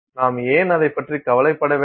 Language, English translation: Tamil, Why should we bother about it